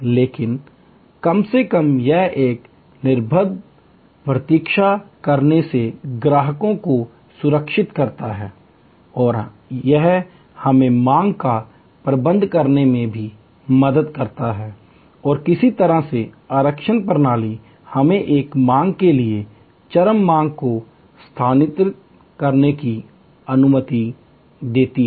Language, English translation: Hindi, But, at least it safe customers from waiting an unoccupied and it also help us to manage the demand and in some way the reservations system allows us to move peak demand to a lean demand period